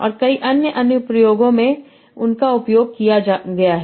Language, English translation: Hindi, And many other applications they have been used in